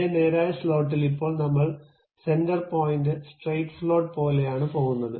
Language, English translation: Malayalam, Now, in the same straight slot, now we are going with something like center point straight slot